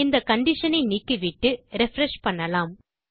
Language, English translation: Tamil, Lets take out this condition and refresh